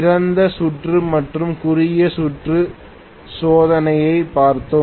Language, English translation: Tamil, We looked at open circuit and short circuit test